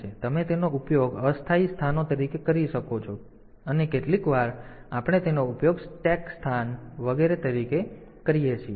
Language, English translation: Gujarati, So, you can use them as temporary locations sometimes we use them as stack location etcetera